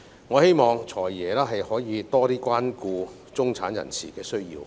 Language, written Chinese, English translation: Cantonese, 我希望"財爺"可以更多關顧中產人士的需要。, I hope FS can take better care of the needs of the middle class